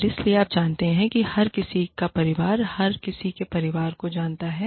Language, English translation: Hindi, And so, you know, everybody's family knows, everybody's family